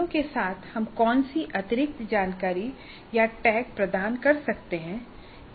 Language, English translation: Hindi, Now what additional information or tags we can provide with the questions